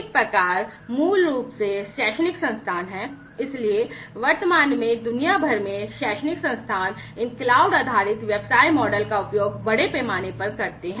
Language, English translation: Hindi, So, one type is basically the educational institutions; so presently worldwide, educational institutions use these cloud based business model quite extensively